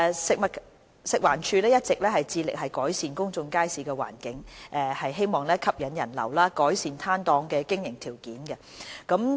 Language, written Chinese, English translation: Cantonese, 食物環境衞生署一直致力改善公眾街市的環境，以吸引人流及改善攤檔的經營條件。, The Food and Environmental Hygiene Department FEHD has been seeking to improve the environment of public markets in order to attract patronage and improve the operating conditions of stalls